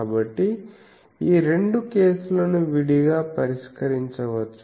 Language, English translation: Telugu, So, these two cases can be treated separately